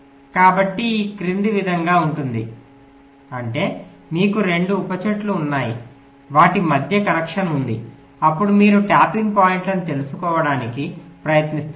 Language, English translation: Telugu, that means: ah, you have two subtrees, ah, there is a connection between then you are trying to find out the tapping point